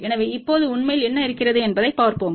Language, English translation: Tamil, So, let just look at what is really there now